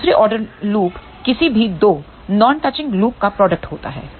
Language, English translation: Hindi, Second order loop is product of any 2 non touching loops